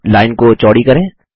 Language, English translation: Hindi, Now, lets make the line wider